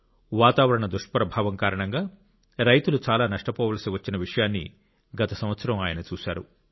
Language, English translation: Telugu, Last year he saw that in his area farmers had to suffer a lot due to the vagaries of weather